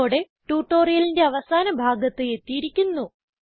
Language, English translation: Malayalam, This bring to the end of this tutorial